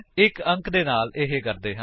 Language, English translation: Punjabi, Let us try this with a digit